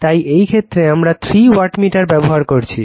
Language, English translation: Bengali, So, in this case , , in this case we have used three wattmeter is given